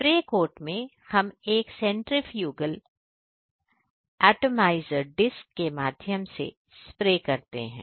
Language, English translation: Hindi, In spray cart we are spray spraying through a centrifugal atomizer disc